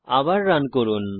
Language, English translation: Bengali, Lets run again